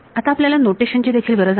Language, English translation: Marathi, Now we also need a notation